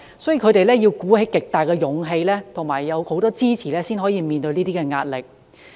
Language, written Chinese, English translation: Cantonese, 所以，他們要鼓起極大勇氣和得到很多支持，才能面對這些壓力。, They had to face such challenges with immense courage and a great deal of support